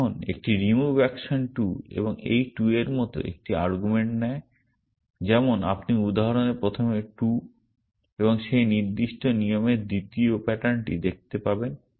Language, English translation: Bengali, Now, a remove action takes an argument like 2 and this 2 as you will see in the example the first 2, the second pattern in that particular rule